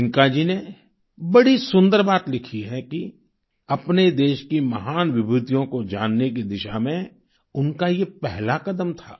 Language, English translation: Hindi, Priyanka ji has beautifully mentioned that this was her first step in the realm of acquainting herself with the country's great luminaries